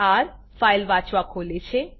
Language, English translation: Gujarati, r – opens file for reading